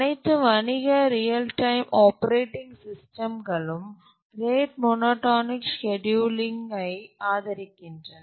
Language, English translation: Tamil, Even all commercial real time operating systems do support rate monotonic scheduling